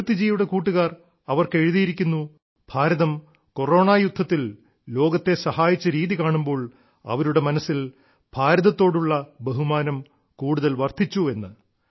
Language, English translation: Malayalam, Kirti ji's friends have written to her that the way India has helped the world in the fight against Corona has enhanced the respect for India in their hearts